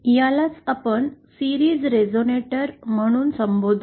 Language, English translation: Marathi, This is what we called as the series resonator